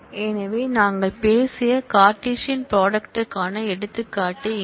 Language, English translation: Tamil, So, here is an example of the Cartesian product that we talked of